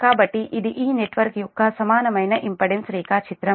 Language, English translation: Telugu, so this is equivalent impedance diagram of this network